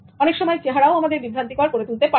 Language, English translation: Bengali, Appearance can always be deceptive